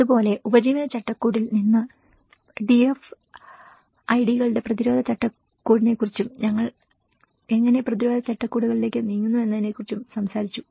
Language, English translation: Malayalam, The similarly, we talked about the DFIDs resilience framework from the livelihood framework, how we moved on to the resilience frameworks